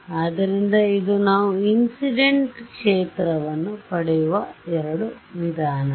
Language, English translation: Kannada, So, those are the two ways in which we get the incident field yeah